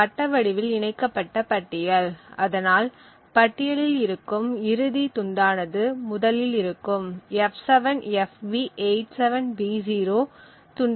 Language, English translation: Tamil, Also note that this is a circular linked list because the last freed chunk in the list also points to the same location as that of the first chunk that is f7fb87b0